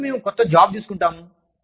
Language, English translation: Telugu, When, we take up a new job